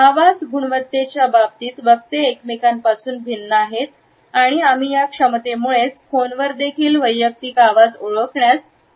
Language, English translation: Marathi, Speakers differ from each other in terms of voice quality and we are able to recognize individual voice even on phone because of this capability only